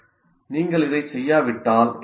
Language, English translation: Tamil, Now if you don't do this, what happens